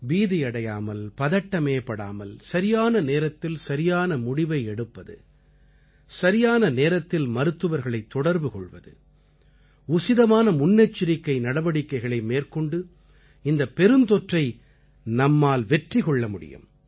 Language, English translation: Tamil, As he mentioned, without panicking, following the right steps on time, contacting doctors on time without getting afraid and by taking proper precautions, we can defeat this pandemic